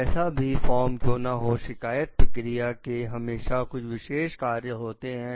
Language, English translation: Hindi, Whatever be there form, the complaint procedures must have certain characteristics to work